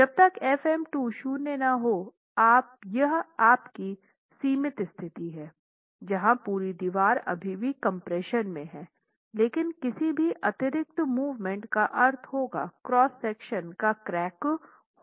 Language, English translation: Hindi, Meaning when you say FM2 becomes zero, that's your limiting condition where the entire wall is still in compression but any additional moment would mean cracking of the cross section begins